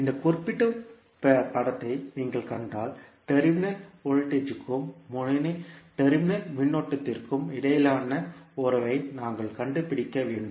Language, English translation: Tamil, If you see this particular figure, we need to find out the relationship between terminal voltage and terminal current